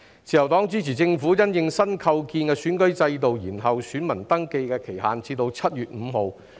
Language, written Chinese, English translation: Cantonese, 自由黨支持政府因應新構建的選舉制度，延後選民登記的期限至7月5日。, The Liberal Party supports the Government in postponing the deadline for voter registration to 5 July in the light of the newly - reconstituted electoral system